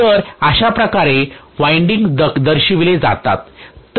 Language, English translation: Marathi, So this is how the windings are represented